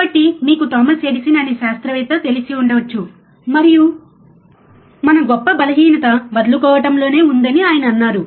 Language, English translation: Telugu, So, you may be knowing the scientist Thomas Edison, and he said that our greatest weakness lies in giving up